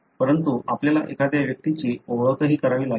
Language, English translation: Marathi, But, we also have to identify an individual